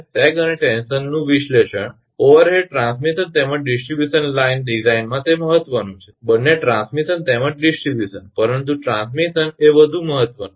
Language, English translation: Gujarati, Analysis of sag and tension of conductor that it is important consideration in overhead transmission as well as distribution line design both transmission as well as distribution both transmission as well as distribution, but transmission is more important right more important